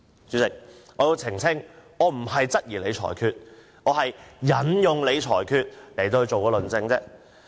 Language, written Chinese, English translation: Cantonese, 主席，我要澄清，我不是質疑你的裁決，而是引用你的裁決進行論證。, President I want to clarify that I do not question your ruling but I just made reference to your ruling in presenting my argument